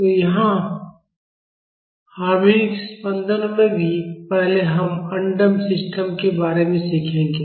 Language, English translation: Hindi, So, here also in harmonic vibrations, first we will be learning about undamped systems